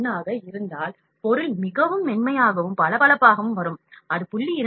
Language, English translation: Tamil, 1, the job would come very smooth and shiny, if it is 0